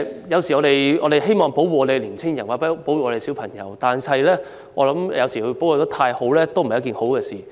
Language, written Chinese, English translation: Cantonese, 有時候，我們希望保護青年人或小朋友，但我認為過分保護未必是好事。, Sometimes we want to protect young people or children but I think excessive protection may not be desirable